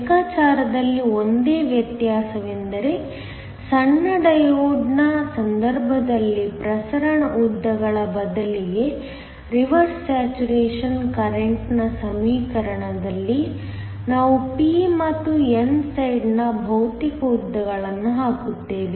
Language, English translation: Kannada, The only difference in the calculation is that, in the equation for the reverse saturation current instead of the diffusion lengths in the case of a short diode, we will put the physical lengths of the p and the n side